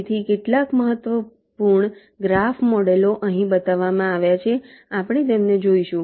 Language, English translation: Gujarati, so some of the important graph models are shown here